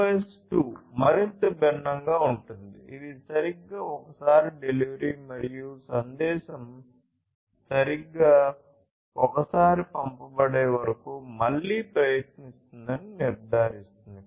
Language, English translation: Telugu, QoS 2 is further different; it is about exactly once delivery and ensuring that and the retry over here is performed until the message is delivered exactly once